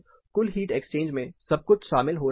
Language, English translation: Hindi, Everything is getting involved in the total heat exchange